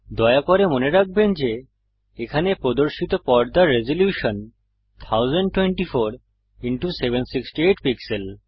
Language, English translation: Bengali, Please note that the screen resolution shown here is 1024 by 768 pixels